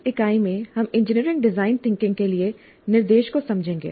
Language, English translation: Hindi, And in this unit, we'll understand instruction for engineering, design thinking